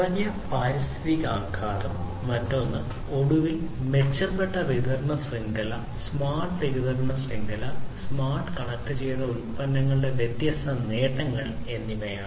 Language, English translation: Malayalam, Decreased environmental impact is the other one and finally, improved supply chain; smart supply chain, these are the different benefits of having smart and connected products